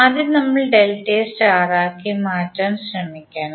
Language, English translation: Malayalam, We have to first try to convert delta into star